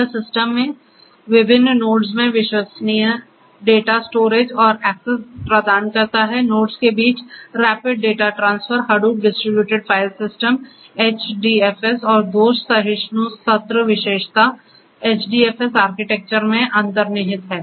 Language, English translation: Hindi, It provides reliable data storage and access across different nodes in the system, the rapid data transfer among the nodes is going to be possible with the help of Hadoop distributed file system HDFS and fault tolerant fault tolerant season attribute that is inherent to HDFS architecture